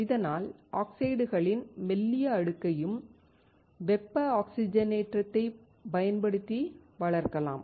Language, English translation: Tamil, Thus, thin layer of oxides can also be grown using thermal oxidation